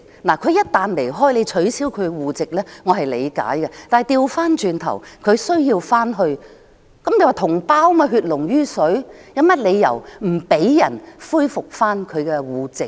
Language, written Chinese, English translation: Cantonese, 他們一旦離開，內地政府取消其戶籍，我是理解的，但反過來，當他們想返回內地，既然是同胞，血濃於水，有何理由不讓他們恢復其戶籍呢？, As soon as they left the Mainland government would cancel their household registration which is understandable to me but on the contrary when they want to return to the Mainland why should they not be allowed to resume their household registration given that they are compatriots whose blood is thicker than water?